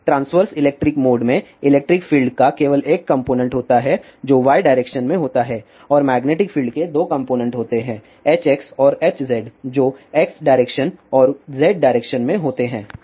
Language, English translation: Hindi, So, in the ah transverse electric mode there is only one component of electric field which is in y direction and there are two components of magnetic fields which are in X direction and Z direction H x and H z